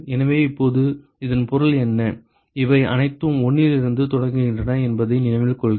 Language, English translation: Tamil, So, now what it simply means and note that everything all of these they start from 1 ok